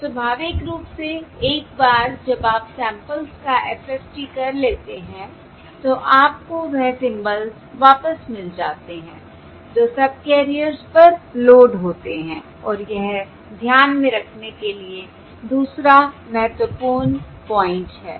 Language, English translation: Hindi, So, naturally, once you do the FFT of the samples, you get back the symbols that are loaded on to the subcarriers, and that is the other important point to keep in mind